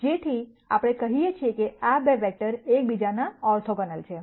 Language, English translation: Gujarati, So, we say that these 2 vectors are orthogonal to each other